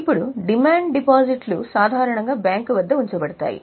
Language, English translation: Telugu, Now, demand deposits are normally kept with bank